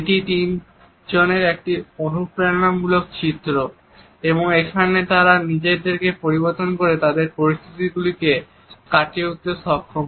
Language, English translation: Bengali, It is an inspiring depiction of three people and how they are able to transform themselves and overcome their situations